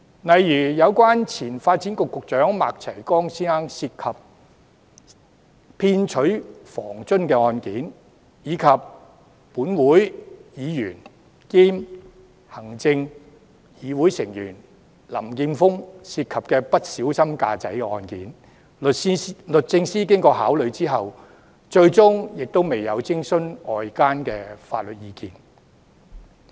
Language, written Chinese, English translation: Cantonese, 例如，有關前發展局局長麥齊光先生涉及騙取房津的案件，以及本會議員兼行政會議成員林健鋒議員涉及不小心駕駛的案件，律政司經考慮後，最終亦未有徵詢外間法律意見。, For instance with regard to the former Secretary for Development Mr MAK Chai - kwongs case of fraudulent claims for housing allowance and the Executive Councillor and Legislative Councillor Mr Jeffrey LAMs case of careless driving DoJ eventually did not seek outside legal opinion after giving the cases due consideration